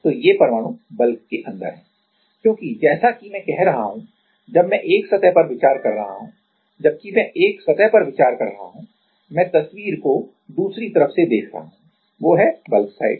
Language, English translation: Hindi, So, these atoms are inside the bulk, because as I am saying while I am considering one surface, while I am considering one surface; I am seeing the picture from the other side, that is the bulk side right